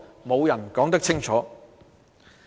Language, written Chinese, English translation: Cantonese, 沒有人可以說清楚。, No one can say for sure